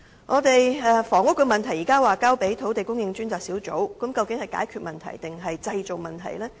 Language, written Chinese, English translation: Cantonese, 至於房屋問題，現時交給了土地供應專責小組處理，但究竟這是解決問題還是製造問題？, On the housing problem at present the Task Force on Land Supply has been tasked with dealing with it but will doing so actually solve the problem or create problems?